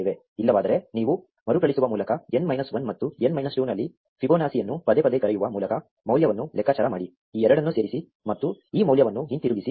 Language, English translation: Kannada, Otherwise, you compute the value by recursive to recursively calling Fibonacci on n minus 1 and n minus 2, add these two and return this value